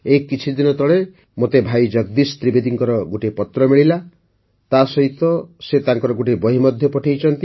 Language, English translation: Odia, Recently I received a letter from Bhai Jagdish Trivedi ji and along with it he has also sent one of his books